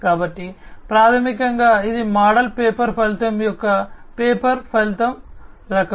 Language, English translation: Telugu, So, basically it is a pay per outcome kind of model paper outcome